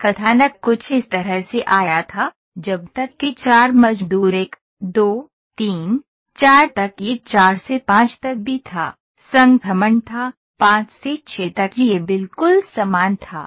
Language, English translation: Hindi, So, this plot came something like this till 4 workers 1, 2, 3, 4 it was even ok from 4 to 5 throughput was like this and from 5 to 6 it was exactly same